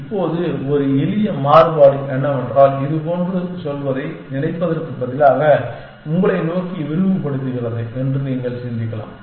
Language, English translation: Tamil, Now, a simple variation to this is, that instead of thinking going like this, you can think of extending you towards